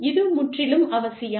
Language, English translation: Tamil, It is absolutely essential